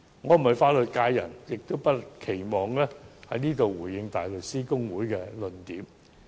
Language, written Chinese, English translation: Cantonese, 我並非法律界人士，不能在此回應大律師公會的論點。, As an outsider of the legal sector I cannot respond to the arguments advanced by HKBA